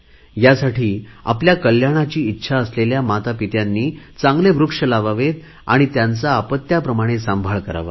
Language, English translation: Marathi, Therefore it is appropriate that parents desiring their wellbeing should plant tree and rear them like their own children